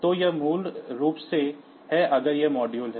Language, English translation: Hindi, So, this is basically if this is the module